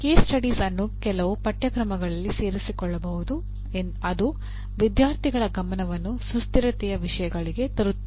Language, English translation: Kannada, Case studies can be incorporated in some courses that will bring the attention of the students to sustainability issues